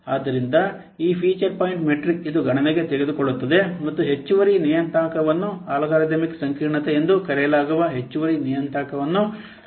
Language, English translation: Kannada, So this feature point metric, it takes in account an extra parameter, it considers an extra parameter that is known as algorithm complexity